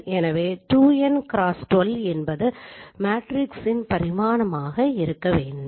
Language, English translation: Tamil, That should be the dimension of the matrix